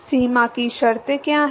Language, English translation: Hindi, What are the boundary conditions